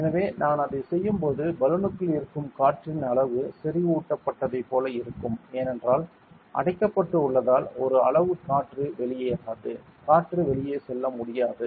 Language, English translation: Tamil, So, when I do that what happens is the volume of the air within the balloon will be like concentrate because one size seal it off the air cannot go out correct air cannot go out